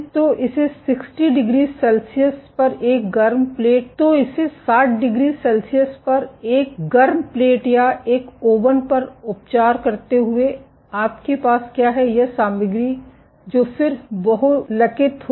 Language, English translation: Hindi, So, curing it on a hot plate or an oven at 60 degree Celsius, what you will have is this material will then polymerize